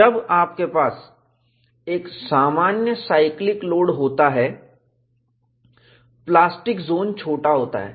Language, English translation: Hindi, When you have a normal cyclical load, the plastic zone is smaller